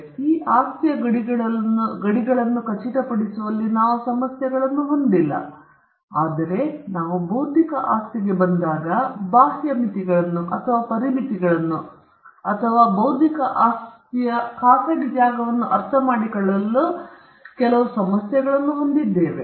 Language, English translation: Kannada, So, we do not have problems in ascertaining the boundaries of this property; whereas, when we come to intellectual property, we do have certain issues as to understanding the outer limits or the boundaries or the private space of intellectual property